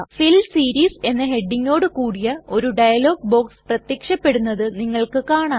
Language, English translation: Malayalam, You see that a dialog box appears with the heading as Fill Series